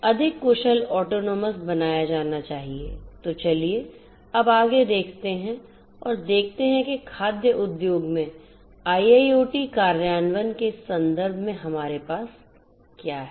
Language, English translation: Hindi, So, let us now look further ahead and see what we have in terms of IoT implementation in the food industry